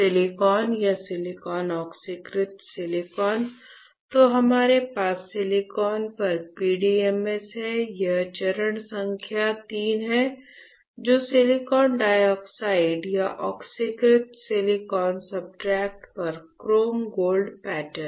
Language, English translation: Hindi, Silicon or silicon oxidized silicon then we have PDMS on the silicon, right; this one which is step number III is your chrome gold pattern on silicon dioxide or oxidized silicon substrate, all right